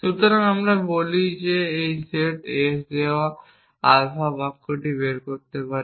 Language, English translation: Bengali, So, we say that we can derive the sentence alpha given the set s